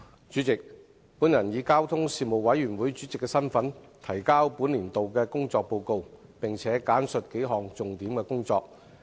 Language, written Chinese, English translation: Cantonese, 主席，本人以交通事務委員會主席身份，提交本年度的工作報告，並簡述數項重點工作。, President in my capacity as Chairman of the Panel on Transport the Panel I now submit the Report on the work of the Panel for this year . I will give a brief account of several major items of its work